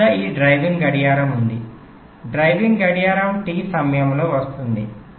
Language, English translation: Telugu, take this example: so i have this driving clock, driving clock it comes, t is the time period